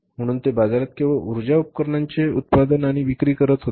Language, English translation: Marathi, So, power equipments they were only manufacturing and selling in the market